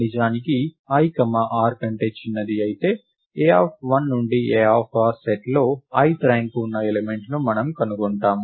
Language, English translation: Telugu, If indeed i is smaller than r then we find the ith ranked element in the set a of 1 to a of r